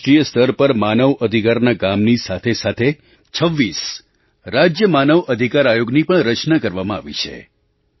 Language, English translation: Gujarati, Today, with NHRC operating at the national level, 26 State Human Rights Commissions have also been constituted